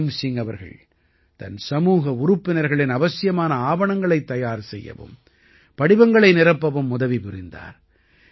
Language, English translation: Tamil, Bhim Singh ji also helps his community members in making necessary documents and filling up their forms